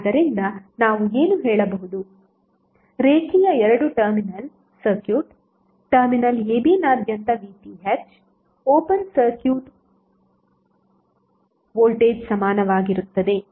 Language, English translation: Kannada, So what we can say that, the linear two terminal circuit, open circuit voltage across terminal a b would be equal to VTh